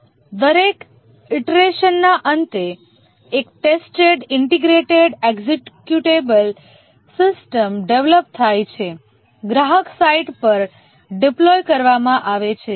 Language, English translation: Gujarati, At the end of each iteration, a tested, integrated, executable system is developed deployed at the customer site